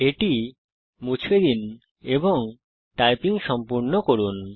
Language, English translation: Bengali, Lets delete it and complete the typing